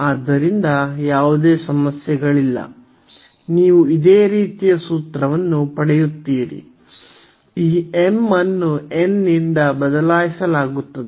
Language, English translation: Kannada, So, there is absolutely no issues, you will get the similar formula, this m will be replaced by n